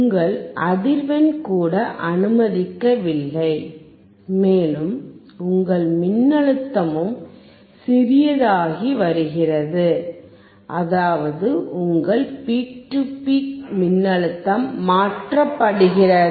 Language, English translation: Tamil, Your frequency is also not allowing and your voltage is also getting smaller and smaller; that means, your peak to peak voltage is getting changed